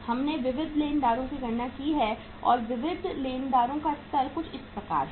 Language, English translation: Hindi, We have calculated the sundry creditors and the level of sundry creditors is something like this